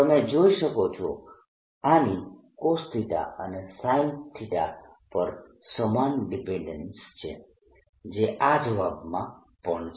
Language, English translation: Gujarati, you see, this has the same dependence on cosine theta and sine theta as the answer here